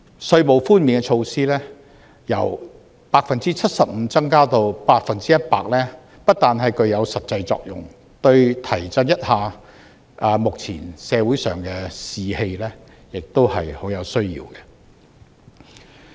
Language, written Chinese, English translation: Cantonese, 稅務寬免的措施由 75% 提升至 100%， 不但具有實際作用，對提振目前社會上的士氣也是很有需要的。, Apart from serving a practical function the measure of increasing the tax reduction from 75 % to 100 % also serve to boost social atmosphere something we desperately need now